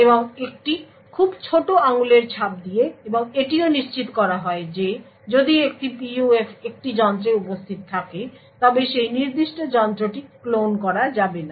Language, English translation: Bengali, And with a very small fingerprint and also it is ensured that if a PUF is present in a device then that particular device cannot be cloned